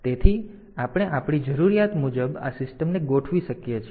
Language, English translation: Gujarati, So, we can have we can we can configure this system as per our requirement